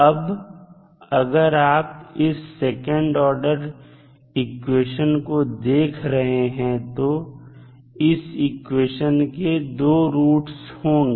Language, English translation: Hindi, Now, if you see this is second order equation solve you will say there will be 2 roots of this equation